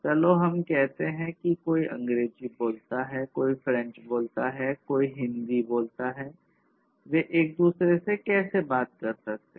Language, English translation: Hindi, Let us say, that somebody speaks you know analogously that somebody speaks English, somebody speaks French, somebody speaks Hindi; how they can talk to each other